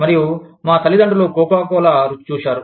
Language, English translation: Telugu, And, our parents had tasted Coca Cola